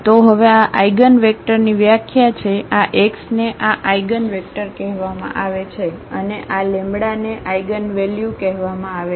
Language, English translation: Gujarati, So, that is the definition now of this eigenvector this x is called the eigenvector and this lambda is called the eigenvalue